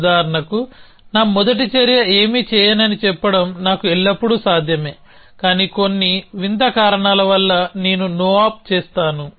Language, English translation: Telugu, So, for example it is always possible for me to say that my first action is to do nothing, for some strange reason that I will do a no op